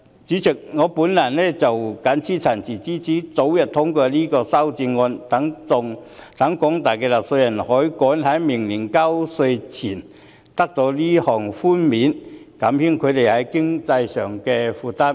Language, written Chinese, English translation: Cantonese, 主席，我謹此陳辭，支持早日通過這項修正案，讓廣大納稅人可以趕在明年交稅前得到這項寬免，減輕他們在經濟上的負擔。, With these remarks Chairman I support the early passage of this amendment to allow taxpayers at large to receive this concession before the tax due dates next year for the sake of relieving their economic burden